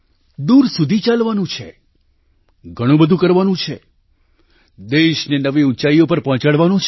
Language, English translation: Gujarati, We have to walk far, we have to achieve a lot, we have to take our country to new heights